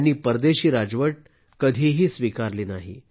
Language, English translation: Marathi, He never accepted foreign rule